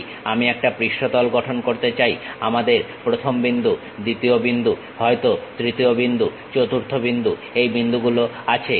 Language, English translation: Bengali, If I would like to construct a surface first point, second point, perhaps third point fourth point these are the points we have